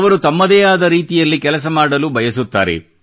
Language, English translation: Kannada, They want to do things their own way